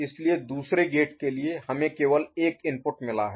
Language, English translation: Hindi, So, for the other gate we have got only one input